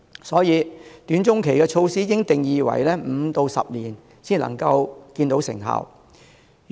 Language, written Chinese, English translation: Cantonese, 所以，"短中期措施"應界定為5至10年便可看到成效的措施。, Therefore short to medium term measures should be defined as measures that will bring results in five to 10 years